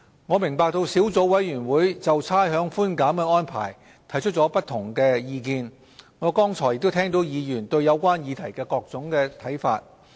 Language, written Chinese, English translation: Cantonese, 我明白小組委員會就差餉寬減的安排提出了不同的意見，我剛才亦聽到議員對有關議題的各種看法。, I understand that the Subcommittee has raised different views on the rates concession arrangement and I have just listened to Members various points of view on the subject concerned